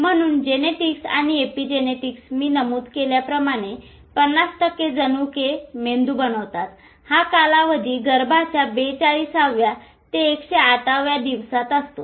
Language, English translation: Marathi, So, between genetics and epigenetics as I mentioned, 50% genes go on to make the brain, this period within the womb, 40 seconds to 108th day, most of the areas of the brain are already there